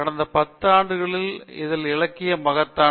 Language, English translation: Tamil, This literature in the last 10 years is enormous